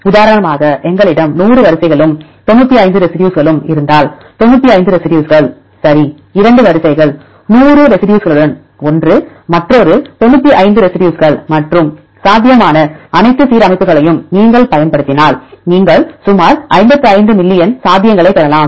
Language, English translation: Tamil, For example, if we have 100 sequences and 95 residue; 95 residues, right, 2 sequences; one with the 100 residues, another 95 residues and if you use the all possible alignments, you can get about 55 million possibilities